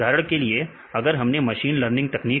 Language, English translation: Hindi, What is a machine learning technique